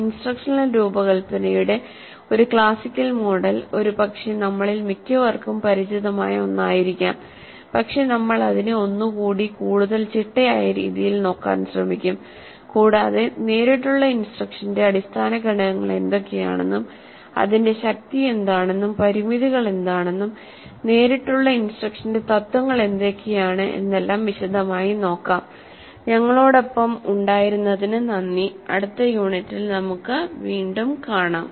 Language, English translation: Malayalam, A classical model of instruction design, probably one with which most of us are familiar, but still we will try to look at it in a more systematic fashion and we will see what are the basic components of direct instruction, what are its strengths and limitations and what are the principles on which the direct instruction is placed